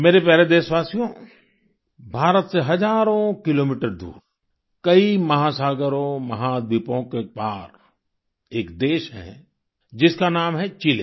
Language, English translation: Hindi, thousands of kilometers from India, across many oceans and continents, lies a country Chile